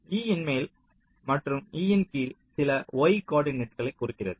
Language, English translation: Tamil, top of e and bottom of e, they refer to some y coordinates